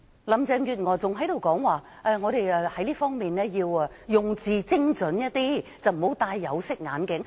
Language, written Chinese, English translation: Cantonese, 林鄭月娥還說我們在這方面要用字精準，不要戴有色眼鏡。, Carrie LAM said we must use more precise wording and we should not wear coloured glasses